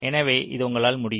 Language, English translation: Tamil, ok, so this is you can